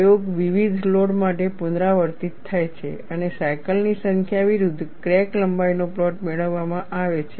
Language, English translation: Gujarati, The experiment is repeated for various loads and a plot of crack length versus number of cycles is obtained